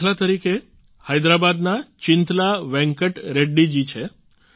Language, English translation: Gujarati, Chintala Venkat Reddy ji from Hyderabad is an example